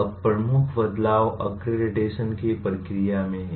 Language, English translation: Hindi, Now the major change is in the process of accreditation